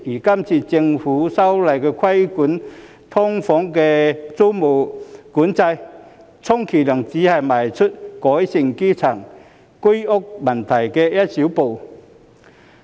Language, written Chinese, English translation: Cantonese, 今次政府修例規管"劏房"租務管制，充其量只是邁出改善基層住屋問題的一小步。, The Governments current legislative amendment to regulate the tenancy control on SDUs is at most a mere small step forward in the improvement of the grass - roots housing problems